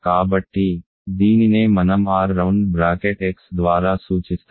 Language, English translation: Telugu, So, then this is what I will denote by R round bracket X